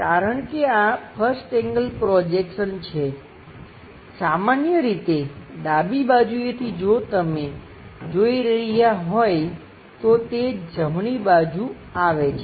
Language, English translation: Gujarati, Because this 1st angle projection as usual left side if you are looking it comes on to the right side